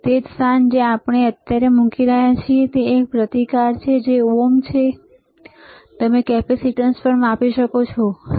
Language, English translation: Gujarati, The same place where we are putting right now which is a resistance which is ohms you can measure capacitance as well, all right